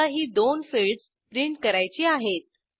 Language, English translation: Marathi, Say we only want to print two fields